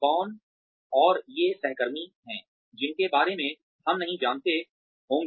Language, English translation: Hindi, Who and these are colleagues, who we otherwise, would not have known about